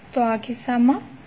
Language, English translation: Gujarati, So what would be in this case